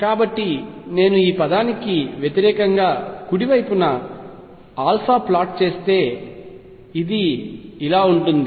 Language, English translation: Telugu, So, if I were to plot right hand side this term versus alpha this would look like this